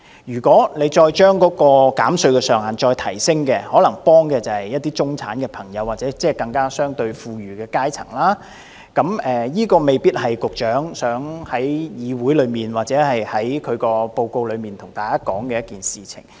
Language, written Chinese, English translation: Cantonese, 如果再將減稅上限提升，可能幫助的是一些中產朋友或相對富裕的階層，這未必是局長想在議會內或報告中跟大家說的一件事。, This may be what the Government can do at its best to ordinary employees . If the cap of tax concessions is raised some middle class or rather well off people will benefit but this may not be what the Secretary wants to mention in this Council or in his report